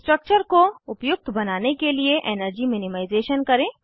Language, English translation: Hindi, Do the energy minimization to optimize the structure